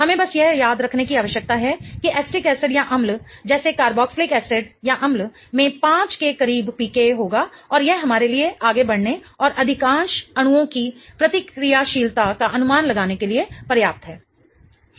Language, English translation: Hindi, We just need to remember that carboxylic acids like acetic acid will have a PCA close to 5 and that is enough for us to go forward and predict the reactivity of the most of the molecules